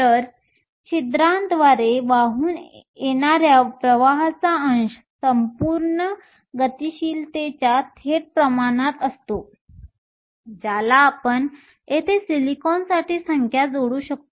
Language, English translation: Marathi, So, the fraction of current carried by holes is directly proportional to the whole mobility we can plug in the numbers for silicon here